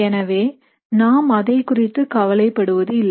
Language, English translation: Tamil, So we are not worried about that